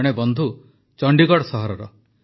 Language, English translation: Odia, One of our friends hails from Chandigarh city